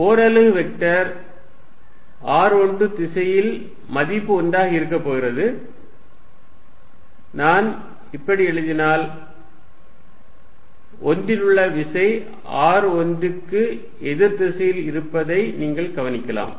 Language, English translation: Tamil, The unit vector is going to be in r 1 2 direction of magnitude unity, if I write like this then you notice that force on 1 is in the direction opposite of r 1 2